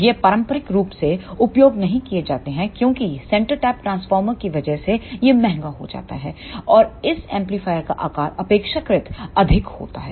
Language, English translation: Hindi, These are not used conventionally because of the centre tapped transformer it becomes costly and the size of this amplifier is relatively more